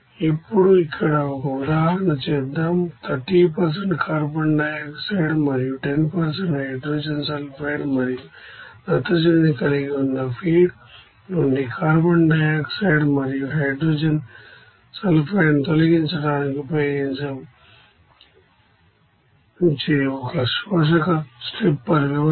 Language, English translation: Telugu, Now, let us do an example like this here an absorber stripper system which is used to remove carbon dioxide and hydrogen sulfide from a feed that consists of 30% carbon dioxide and 10% hydrogen sulfide and also nitrogen